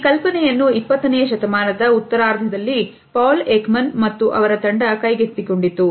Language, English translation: Kannada, However, this idea was taken up in the late 20th century by Paul Ekman and his team